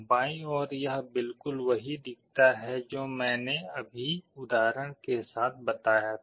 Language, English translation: Hindi, On the left hand side it shows exactly what I just now told with the example